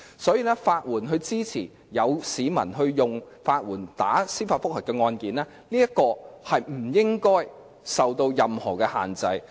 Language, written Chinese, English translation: Cantonese, 所以，法援支持市民提出司法覆核和進行有關的法律程序不應受任何限制。, Therefore the provision of legal aid to the public for seeking a judicial review and bringing the relevant legal proceedings should not be subject to any limitation